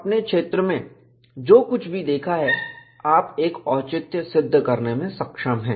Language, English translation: Hindi, Whatever you have seen in the field, you are able to get a justification